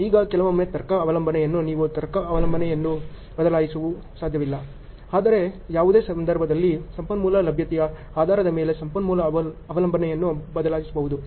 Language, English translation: Kannada, Now sometimes the logic dependence you cannot alter the logic dependence, but the resource dependence can be altered based on the availability of resource at any point of time ok